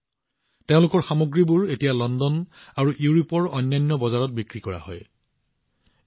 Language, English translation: Assamese, Today their products are being sold in London and other markets of Europe